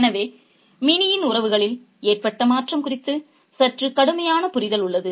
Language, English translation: Tamil, Therefore, there is a slightly harsher understanding of Minnie's change in relations